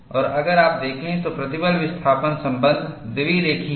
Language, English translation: Hindi, And if you look at, the stress displacement relationship is bilinear